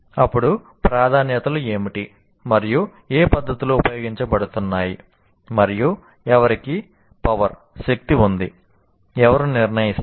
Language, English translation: Telugu, Then what are my priorities and what are the methods that I am using and who has the power